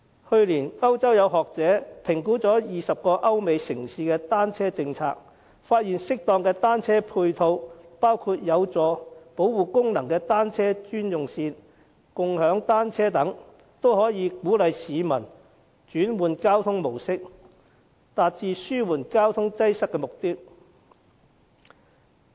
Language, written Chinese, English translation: Cantonese, 去年，歐洲有學者評估20個歐美城市的單車政策，發現適當的單車配套，包括有保護功能的單車專用線、共享單車等，均可以鼓勵市民轉換交通模式，達致紓緩交通擠塞的目的。, Last year academics in Europe assessed the bicycle policies in 20 cities in Europe and the United States . Findings show that suitable matching measures for bicycles including bicycle - only lanes with protection facilities and bicycle - sharing may encourage the public to change their mode of transport achieving the objective of alleviating traffic congestion